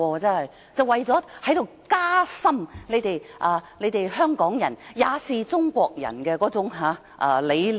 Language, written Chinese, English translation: Cantonese, 全是為了加深香港人也是中國人那理念。, It is all for the sake of impressing on us the idea that Hong Kong people are also people of China